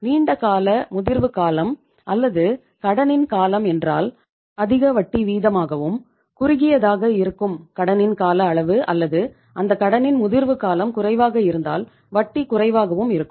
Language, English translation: Tamil, Longer the maturity period or duration of the loan, higher would be the interest rate and shorter is the duration of the loan or the maturity period of that loan, lesser will be the interest rate